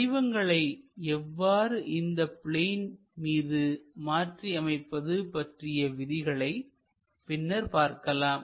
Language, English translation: Tamil, We will learn about the rules how to really transform this onto those planes